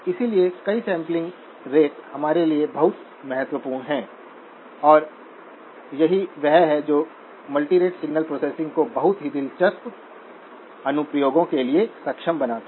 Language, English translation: Hindi, So multiple sampling rates are very important for us and this is what enables multirate signal processing to have very interesting applications